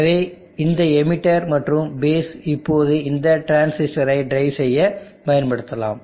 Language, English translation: Tamil, So this emitter and the base can now be used for driving this transistor